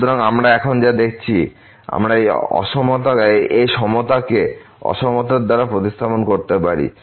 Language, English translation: Bengali, So, what we see now we can replace this equality by the inequality